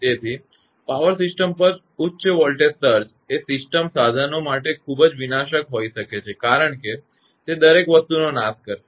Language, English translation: Gujarati, So, high voltage surges on power system can be very destructive to system equipment because it will destroy everything